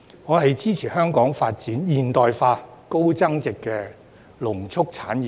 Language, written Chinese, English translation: Cantonese, 我支持香港發展現代化、高增值的農畜產業。, I support the development of a modern and high value - added agricultural and livestock industries in Hong Kong